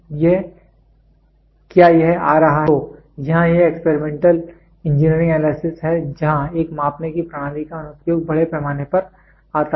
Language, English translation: Hindi, So, here this is Experimental Engineering Analysis where the application of a measuring system comes in a big way